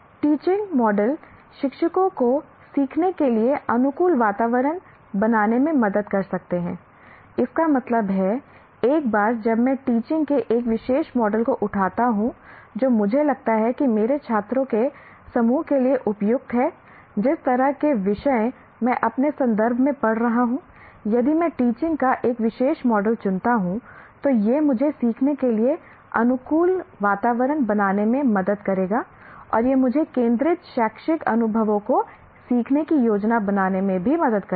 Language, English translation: Hindi, That means, once I pick up a particular model of teaching, which I think is suitable for my group of students, for the kind of subjects that I am teaching, in my context, one, if I choose a particular model of teaching, then it will help me to create conducive environment for learning and it will also help me to plan learning centered educational experiences